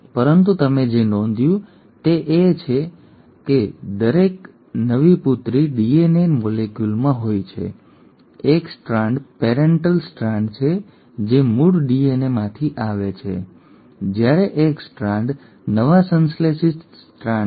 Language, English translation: Gujarati, But what you notice is in each new daughter DNA molecule one strand is the parental strand which came from the original DNA while one strand is the newly synthesised strand